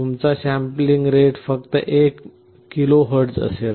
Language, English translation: Marathi, May be your sampling rate will be 1 KHz only